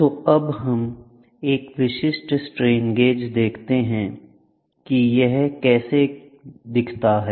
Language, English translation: Hindi, So, now let us see a typical strain gauge how does it look like